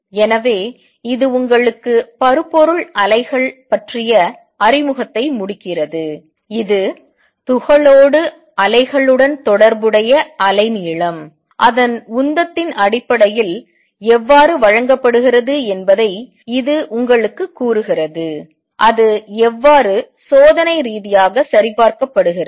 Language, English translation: Tamil, So, this is this concludes introduction to matter waves to you it tells you how the wavelength associated with the waves with the particle is given in terms of its momentum, and how it is experimentally verified